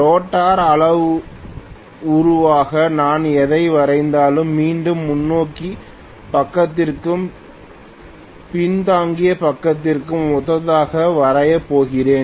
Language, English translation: Tamil, Whatever I am drawing as the rotor parameter again I am going to draw corresponding to forward side and backward side